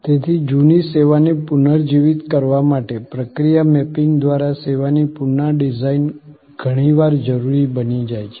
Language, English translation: Gujarati, So, service redesign by process mapping often becomes necessary to revitalize an outdated service